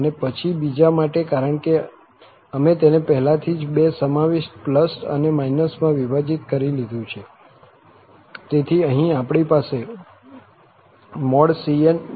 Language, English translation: Gujarati, And, then for the second one, because we have already splitted into two, two incorporate, plus and minus, so, here, we have the c minus n